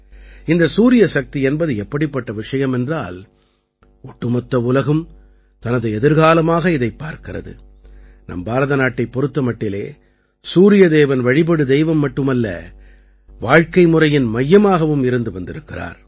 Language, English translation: Tamil, Solar Energy is a subject today, in which the whole world is looking at its future and for India, the Sun God has not only been worshiped for centuries, but has also been the focus of our way of life